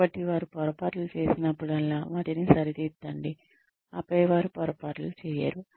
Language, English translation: Telugu, So correct them, whenever they make mistakes, so that, they do not make